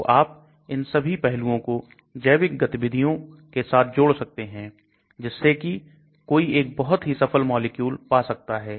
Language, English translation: Hindi, So that you can combine all these aspects with the biological activities so that one can come up with a very successful molecule